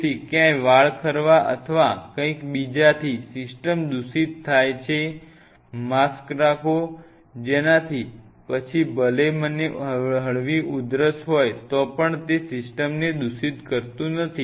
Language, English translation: Gujarati, So, that there is hair fall or something it is not going to you know contaminate the system, have the mask even if I have a mild cougher anything it is not going to contaminate system